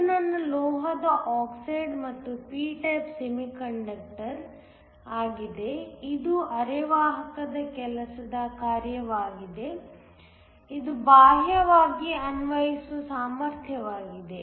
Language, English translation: Kannada, This is my metal oxide and p type semiconductor, this is the work function of the semiconductor this is the externally applied potential